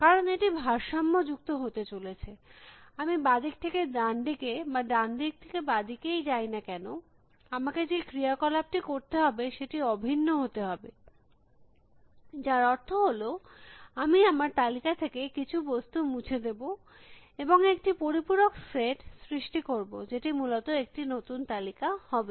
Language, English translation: Bengali, Because, it is going to be symmetric, whether I am going from left hand side to right hand side or right hand side to left hand side, the operations that I will have to do would have to be identical, which means that I will delete some elements from my list and create a compliment set, which will be the new list essentially